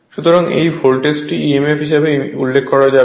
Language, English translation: Bengali, So, that it is customary to refer to this voltage as the back emf